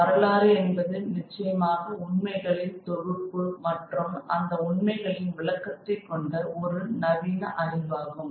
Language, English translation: Tamil, History is certainly a very modern discipline based on collection of facts and interpretation of those facts